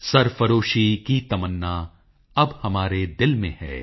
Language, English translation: Punjabi, Sarfaroshi ki tamanna ab hamare dil mein hai